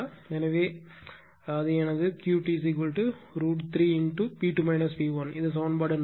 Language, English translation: Tamil, So, that is my q t is equal to root 3 P 2 minus P 1 this is equation 4 , right